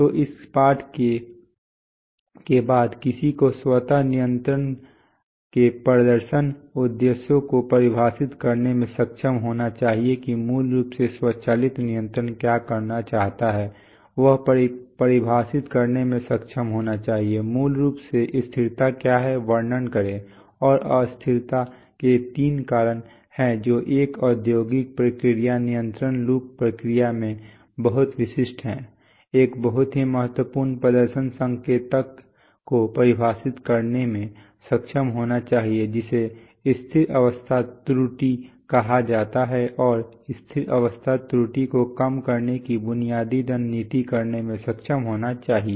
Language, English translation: Hindi, So after this lesson, one should be able to define the performance objectives of automatic control what basically automatic control wants to do, he or she should be able to define, what is basically, basically describe what is stability and three causes of instability which are very typical in a process, in an industrial process control loop, should be able to define a very important performance indicator called the steady state error and basic strategies or philosophies of reducing steady state error